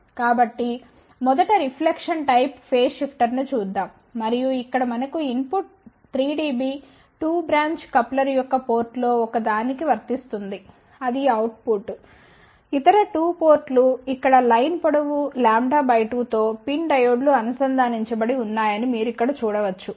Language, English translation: Telugu, So, let 1st look at reflection type phase shifter and here we have input coming to one of the port of 3 dB 2 branch coupler, this is the output, the other 2 ports you can see over here that pin diodes are connected over here with the line length l by 2